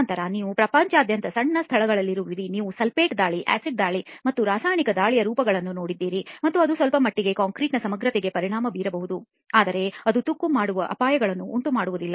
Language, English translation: Kannada, Then you have in smaller locations around the world you have forms of chemical attack like sulphate attack, acid attack and so on and that may affect to some extent the integrity of the concrete but it does not pose the kind of dangers that corrosion does